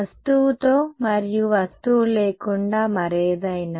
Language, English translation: Telugu, With and without the object any other